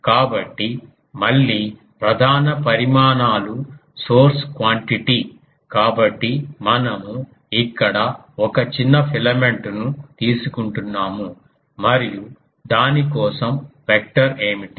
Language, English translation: Telugu, So, again the prime quantities are source quantity; so we are taking a small filament here and what is the vector for that